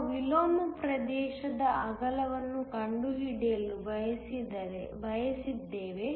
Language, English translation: Kannada, We also wanted to find the width of the inversion region